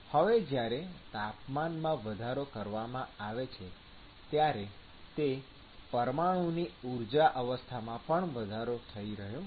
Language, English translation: Gujarati, Now when the temperature is increased, the energy state of that molecule also is going to be increased, right